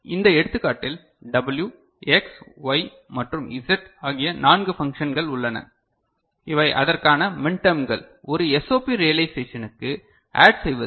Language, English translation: Tamil, So, in this example what we have considered there are four functions W, X, Y and Z and these are the corresponding minterms that are getting added in a SOP realization ok